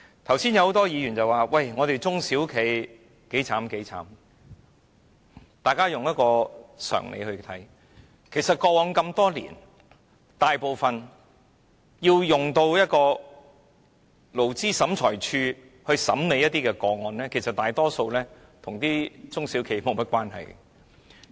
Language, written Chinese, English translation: Cantonese, 剛才多位議員說中小企有多淒涼，大家用常理來考慮，過往多年，大部分經勞審處審理的個案，其實都與中小企無關。, Just now a number of Members described the miserable conditions facing small and medium enterprises SMEs but we should be sensible in considering this matter . In the past most of the cases handled by the Labour Tribunal actually did not involve SMEs